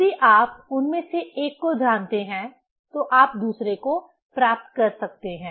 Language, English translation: Hindi, If you know one of them, you can get the other one